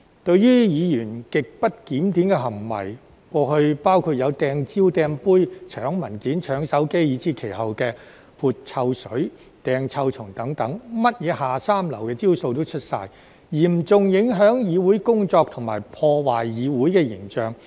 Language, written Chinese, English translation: Cantonese, 對於議員極不檢點的行為，過去包括"掟蕉"、"掟杯"、搶文件、搶手機，以至後期的潑臭水、"掟臭蟲"等，任何"下三流"的招數都出齊，嚴重影響議會工作及破壞議會形象。, Previous grossly disorderly conduct of Members included hurling bananas throwing a glass snatching papers and snatching a mobile phone as well as splashing foul - smelling liquid and throwing stinking worms at the later stage . They resorted to every unscrupulous trick seriously affecting the work of the Council and tarnishing its image